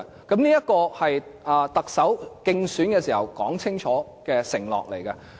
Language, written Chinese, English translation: Cantonese, 這也是特首競選時清楚作出的承諾。, Such extension was a pledge made clearly by the Chief Executive during the election period